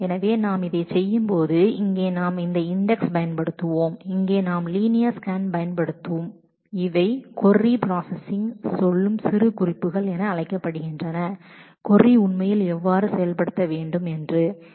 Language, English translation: Tamil, So, these when we are doing this putting and that here we will use this index, here we will use linear scan these are what is called annotations which tell the query processing engine that how the query should actually be executed